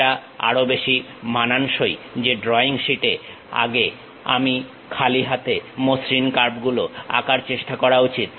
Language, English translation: Bengali, It is more like on drawing sheets earlier we have try to draw smooth freehand curves